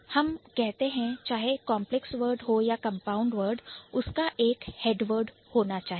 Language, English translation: Hindi, Let's say whether it is a complex word or a compound word, there must be a head word